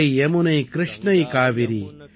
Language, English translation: Tamil, Ganga, Yamuna, Krishna, Kaveri,